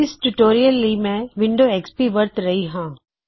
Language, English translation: Punjabi, For this tutorial I am using Windows XP operating system